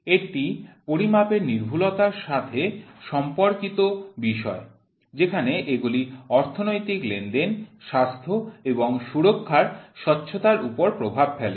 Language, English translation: Bengali, It is concerned with the accuracy of measurement where these have influence on the transparency of economical transactions, health and safety